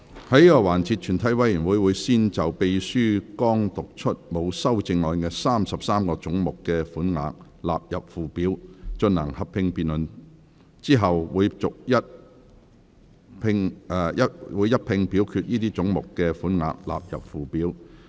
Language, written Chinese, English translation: Cantonese, 在這個環節，全體委員會會先就秘書剛讀出沒有修正案的33個總目的款額納入附表，進行合併辯論。之後會一併表決該些總目的款額納入附表。, In this session committee will first proceed to a joint debate on the sums for the 33 heads with no amendment read out by the Clerk just now standing part of the Schedule and then vote on the sums for those heads standing part of the Schedule